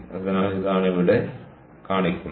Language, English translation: Malayalam, so this is what is shown here in this